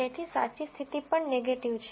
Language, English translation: Gujarati, So, the true condition is also negative